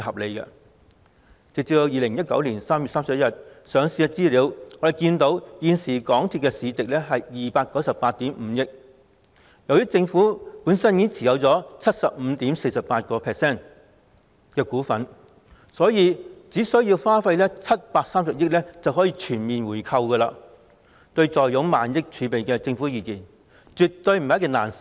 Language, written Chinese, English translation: Cantonese, 從截至2019年3月31日的上市資料可見，現時港鐵公司的市值是298億 5,000 萬元，由於政府已經持有 75.48% 股份，所以只須730億元便可全面回購，對坐擁萬億儲備的政府而言，絕對不是難事。, As we can see from the listing information as at 31 March 2019 the market value of MTRCL is 29.85 billion and as the Government already holds 75.48 % of its shares it takes only 73 billion for a full buyback and this is absolutely not difficult to the Government which has amassed a thousand billion dollars in its reserve